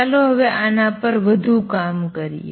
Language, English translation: Gujarati, Let us now explore this a little further